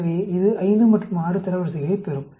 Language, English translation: Tamil, So, this will get rank of 5 and 6